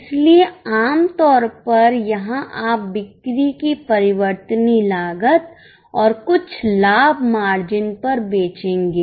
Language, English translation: Hindi, So, typically here you will sell at the variable cost of sales plus some profit margin